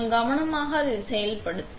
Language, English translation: Tamil, So, we carefully carry it